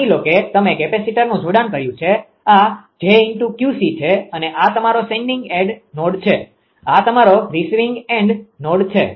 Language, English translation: Gujarati, Suppose you have connected capacitor, this is say j Q L and this is your sending end node; this is your receiving end node